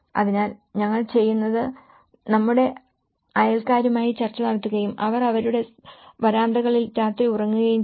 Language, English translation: Malayalam, So, what we do is we negotiate with our neighbours and they sleep on the nights in their verandas